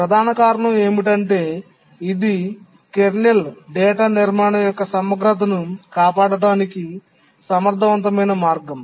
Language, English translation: Telugu, The main reason is that it is an efficient way to preserve the integrity of the kernel data structure